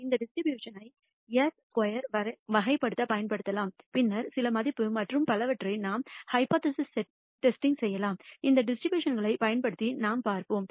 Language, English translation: Tamil, And that distribution can be used to characterize s squared and we can later on do hypothesis testing, whether the sigma squared is some value and so on, using these distributions we will see